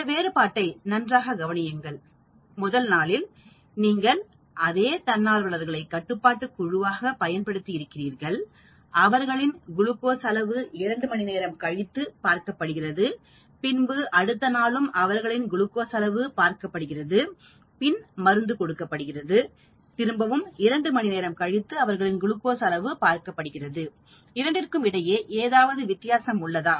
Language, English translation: Tamil, You see these differences on the first day, you are using the same volunteers as control; that means you are checking their glucose levels for a long time at 2 hours, and the next day you are checking their glucose levels, then you are giving the drug and again after 2 hours you are checking their glucose levels to see whether there is a change